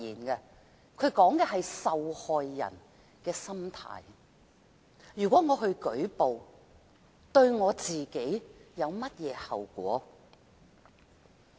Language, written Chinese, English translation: Cantonese, 如果受害人作出舉報，對自己會有甚麼後果？, If a victim reports the case what consequences will the victim face?